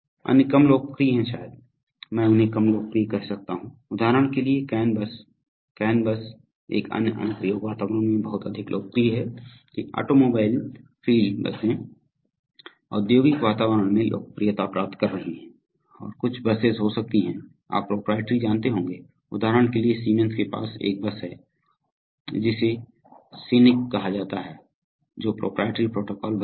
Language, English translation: Hindi, There are other less popular probably, I can call them less popular, for example the can bus, the can bus is much more popular in in another application environment that automobiles, field buses gaining popularity in the industrial environment and some buses could be, you know proprietary, for example siemens has a bus called scenic which is proprietary protocol bus